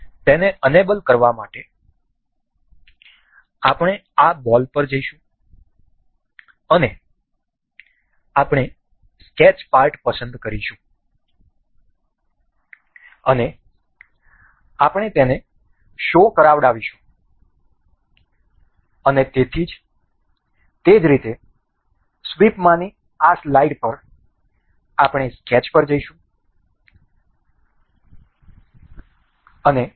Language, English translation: Gujarati, To enable that, we will go to this ball and we will select the sketch part and we will make it show and similarly, on the this particular slide in the sweep, we will go to the sketch